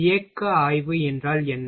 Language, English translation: Tamil, What is the motion study